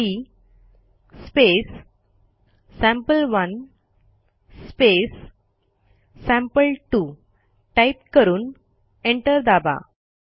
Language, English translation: Marathi, We will write cmp space sample1 space sample2 and press enter